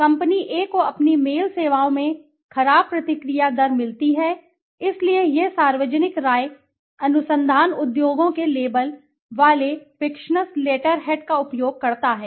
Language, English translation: Hindi, Company A gets poor response rate in its mail services so it uses fictitious letter head labeled public opinion research industries